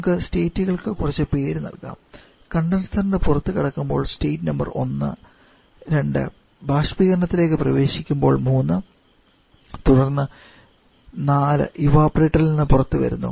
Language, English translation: Malayalam, Let us give some name to the states let us say this is a state number 1, 2 at the exit of condenser, 3 entering the evaporator then 4 coming out of the evaporator